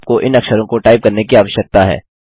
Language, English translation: Hindi, You are required to type these letters